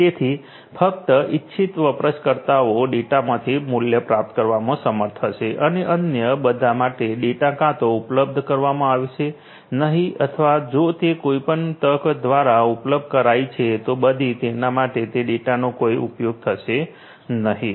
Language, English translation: Gujarati, So, only the intended users will be able to derive value out of the data and for all others, the data will either not be made available or if it is made available by any chance, then the data will not be of any use to the others